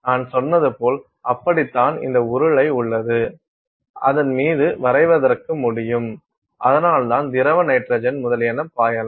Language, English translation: Tamil, So, that is how like I said you have this cylinder on which you can paint it and that is why that is how you can flow the liquid nitrogen etcetera